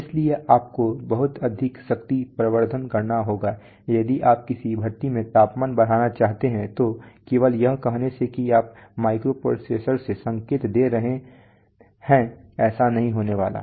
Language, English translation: Hindi, So you have to do lot of power amplification if you want to increase the temperature in a furnace then just saying that you make giving a signal from a from microprocessor is not going to do it